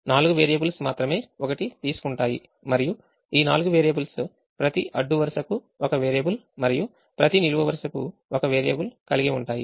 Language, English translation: Telugu, only four variables will take one and these four variables will be such that every row has one variable and every column has one variable